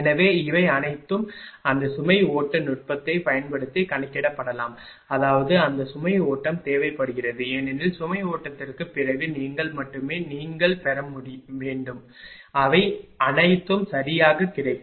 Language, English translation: Tamil, So, all this can be computed using that load flow technique; that means, that load flow is require because after load flow only you have to you will you have to gain you will get all this things right